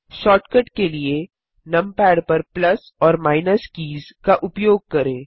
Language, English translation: Hindi, For shortcut, use the plus and minus keys on the numpad